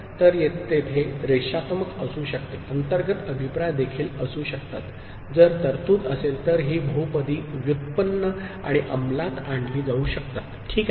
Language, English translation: Marathi, So, there can be linear, there can be internal feedback also if provision is there by which these polynomials can be generated and implemented, ok